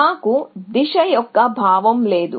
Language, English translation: Telugu, So, we do not have any sense of direction